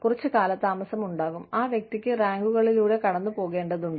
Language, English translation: Malayalam, There is some lag, the person has to go through the ranks